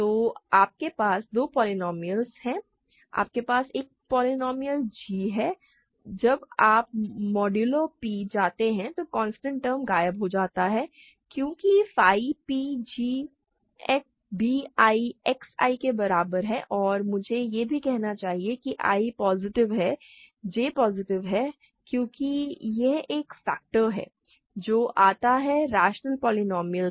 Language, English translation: Hindi, So, you have two polynomial you have a polynomial g when you go modulo p the constant term disappears, right because phi p g is equal to b i X i and also I should say I is positive j is positive because this is a factorization that comes from the rational polynomials